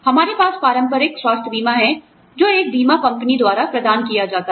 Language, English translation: Hindi, We have traditional health insurance, which is provided by an insurance company